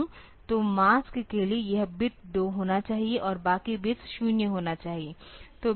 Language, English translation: Hindi, So, this bit should be 2 for the mask and rest of the bits should be 0